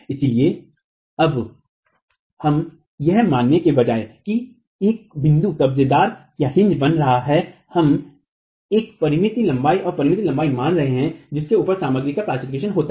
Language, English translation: Hindi, So now instead of assuming that the hinge is forming at the point, we are assuming a finite length and over finite length over which there is plastication of the material